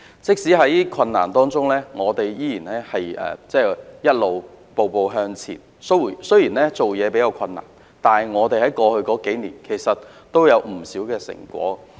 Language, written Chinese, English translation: Cantonese, 即使在困難當中，我們仍然步步向前，雖然做事比較困難，但過去數年的工作其實也有不少成果。, We have kept on moving forward step by step in the midst of difficulties and although things have been relatively difficult my work in the past few years has actually produced some fruitful results